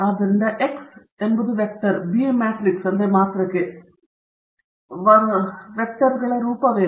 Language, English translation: Kannada, So, what is the form of the X vector, the B matrix and the small b vector